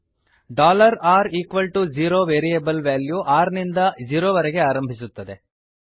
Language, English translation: Kannada, $r=0 initializes the value of variable r to zero